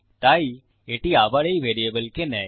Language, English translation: Bengali, So, again its taking this variable into account